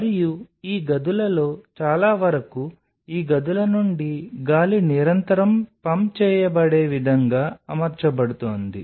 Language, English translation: Telugu, And most of these rooms are being arraigned in a way that the air is being continuously pumped out of these rooms